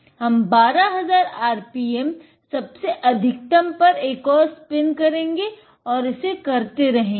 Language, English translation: Hindi, We will do one more spin and we will do this at the maximum rpm of 12000; so, on, on and done